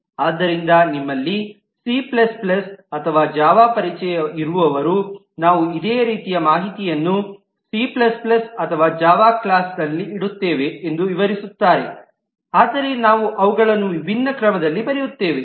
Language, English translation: Kannada, So those of you who may be familiar with C++ and Java will relate that we keep the similar information in a C++ or a Java class